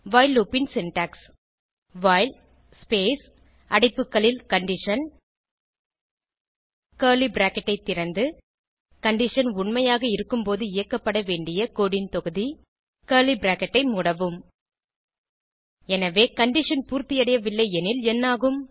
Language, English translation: Tamil, The syntax of while loop is as follows while space open bracket condition close bracket Open curly bracket Piece of code to be executed while the condition is true Close curly bracket So, what happens if the condition is not satisfied